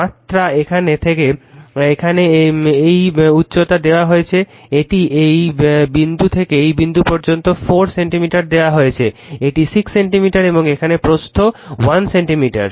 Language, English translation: Bengali, The dimension is given this height from here to here it is given 4 centimeter from this point to this point it is given 6 centimeter and here the thickness is 1 centimeter